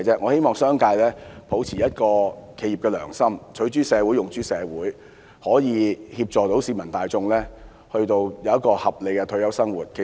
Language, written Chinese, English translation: Cantonese, 我希望商界能抱持企業的良心，取諸社會，用諸社會，協助市民大眾享有合理的退休生活。, I hope the business sector can uphold its corporate conscience plough back into society what it has taken from society and help the masses enjoy a reasonable retirement life